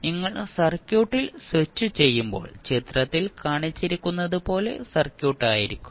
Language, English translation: Malayalam, When you switch on the circuit it will be the circuit like shown in the figure